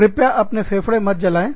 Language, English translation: Hindi, Please, do not burn your lungs